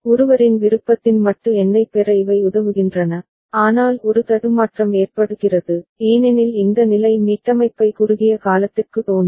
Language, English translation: Tamil, These helps in getting a modulo number of one’s choice, but a glitch occurs because this state causing reset appears for a short duration